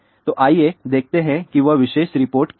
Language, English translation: Hindi, So, let us see what will be that particular report